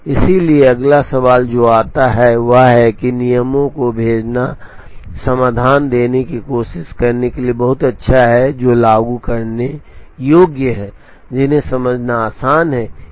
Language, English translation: Hindi, So, the next question that comes is while dispatching rules are very good to try to give solutions, which are implementable, which are easy to understand